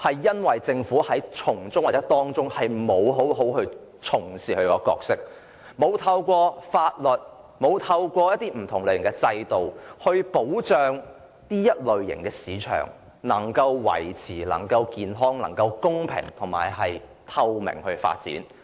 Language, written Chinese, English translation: Cantonese, 因為政府在過程中沒有好好履行其角色，沒有制定法律和建立不同類型的制度來保障創新科技市場能夠持續健康、公平而透明地發展。, Because the Government has failed to perform its roles satisfactorily in the process in the sense that it has failed to enact legislation and set up various types of systems for the purpose of ensuring the sustainable healthy fair and transparent development of the innovation and technology market